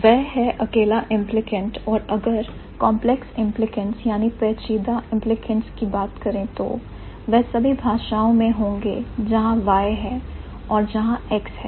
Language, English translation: Hindi, And if there is complex implicants, then it will be in all languages where there is Y, there is also an X